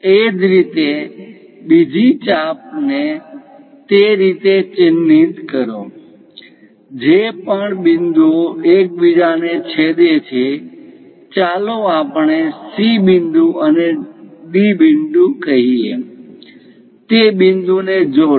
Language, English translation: Gujarati, Similarly, mark another arc in that way; whatever the points are intersecting, let us call C point and D point; join them